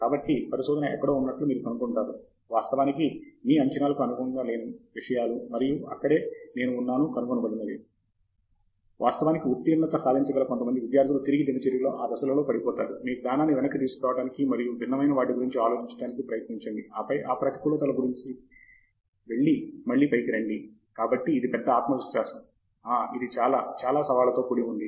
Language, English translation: Telugu, So, research, somewhere you will find that there are things which actually are not according to your expectations and that is where the what I found is, some of the students who can actually pass that, during those phases to fall back on routine, to fall back on your knowledge, and try to think of something different, and then pass through that negative and then come up again, so that’s the big spirit, that is where it is very, very challenging